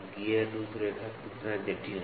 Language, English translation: Hindi, How complex is the gear profile